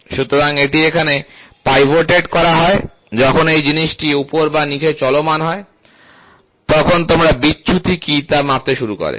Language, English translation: Bengali, So, this is pivoted here, when this fellow moves up or down, so you can start measuring what is a deviation